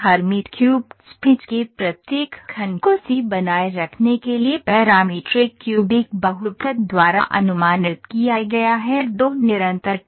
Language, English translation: Hindi, Each segment of the Hermite cubic spline, is approximated by a parametric cubic polynomial, to maintain a C square, C2 continuity